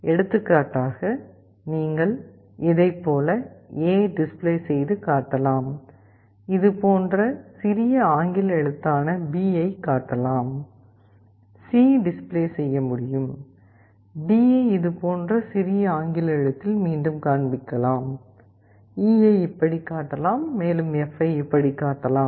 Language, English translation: Tamil, For example, you can display A like this, you can display b in lower case like this, C can be display like this, d can be displayed again in lower case like this, E can be displayed like this, and F can be displayed like this